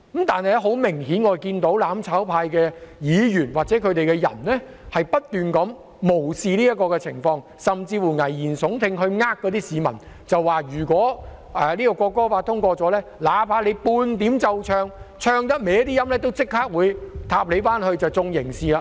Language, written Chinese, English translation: Cantonese, 但很明顯，我們看到"攬炒派"的議員或人士，不斷無視這個情況，甚至危言聳聽，欺騙市民說如果《條例草案》通過後，哪怕在奏唱國歌時有少許走音，亦會立即被刑事檢控。, But obviously we can see Members or people of the mutual destruction camp keep ignoring this they even resort to scaremongering and deceive the public by claiming that once the Bill is passed they would immediately be subject to criminal prosecution if they are a bit off - key when playing and singing the national anthem